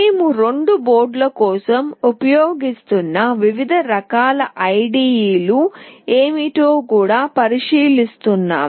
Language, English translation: Telugu, We will also look into what are the various kinds of IDE that we will be using for the two boards